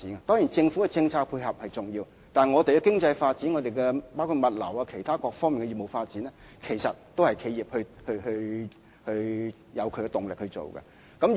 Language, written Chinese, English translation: Cantonese, 當然，政府的政策配合是重要的，但本港的經濟發展，包括物流業及其他各方面的業務發展，其實也是因為企業動力推進。, Certainly support of government policies is important . Indeed the economic development of Hong Kong including the logistics industry and business development on other fronts is pushed forward by the impetus of enterprises